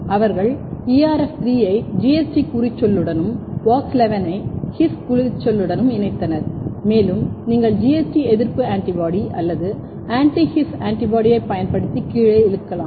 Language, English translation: Tamil, So, they have basically fused ERF3 with GST tag and WOX11 with His tag and you can pull down using anti GST antibody or anti His antibody and if you are using anti GST for pull down and then you can you can do immune blotting using anti His antibody